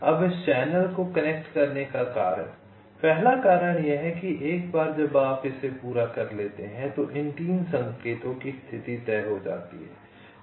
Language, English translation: Hindi, fine, now the reason why this channel has to be connected first is that once you complete this, the position of these three signals are fixed